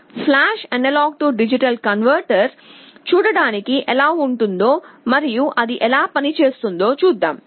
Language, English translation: Telugu, Let us see how flash AD converter looks like and how it works